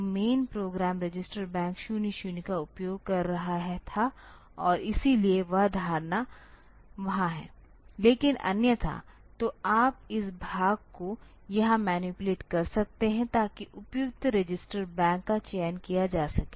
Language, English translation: Hindi, So, the main program was using the register bank 00 and so that assumption is there, but otherwise; so, you can manipulate this part here so, that the appropriate register bank is selected